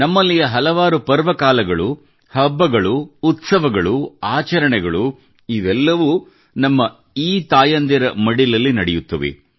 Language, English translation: Kannada, Numerous festivals, festive occasions, functions of ours, occasions to rejoice take place in the very laps of these mothers